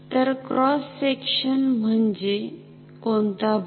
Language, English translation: Marathi, So, cross section means which area